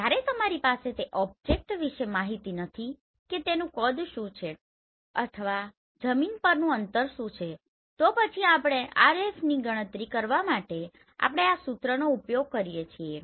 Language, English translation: Gujarati, When you do not have the information about that object that what is the size or what is the distance of that on the ground then how you can calculate this RF for that we use this formula